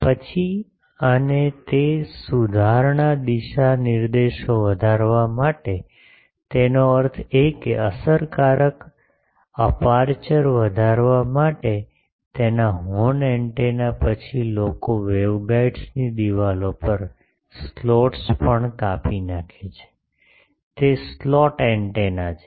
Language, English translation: Gujarati, Then and modification of that to increase the directivity; that means, to increase the effective aperture his horn antenna, then people also cut slots on the conducting walls of waveguides, those are slot antennas